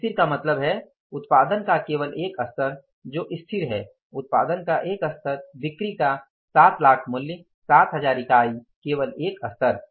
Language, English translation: Hindi, Static means only one level of production which is stable, one level of production, 7 lakh worth of sales, 7,000 units only one level